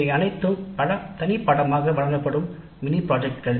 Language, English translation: Tamil, These are all mini projects offered as separate courses